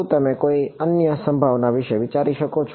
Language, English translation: Gujarati, Can you think of any other possibility